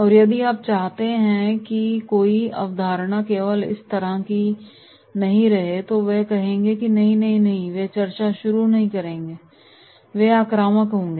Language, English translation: Hindi, And if you say “No the concept is like this only” so they will say “No no no and they will start discussion” so they will be aggressive